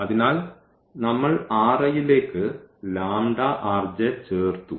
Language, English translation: Malayalam, So, we will just subtract